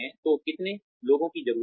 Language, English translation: Hindi, So, how many people, do we need